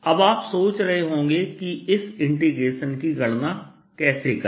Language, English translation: Hindi, alright, now you must be wondering how to calculate this integral